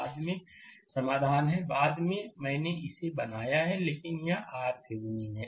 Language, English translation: Hindi, Later solution is there; later, I have made it, but this is R Thevenin